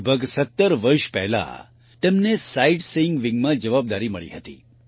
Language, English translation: Gujarati, About 17 years ago, he was given a responsibility in the Sightseeing wing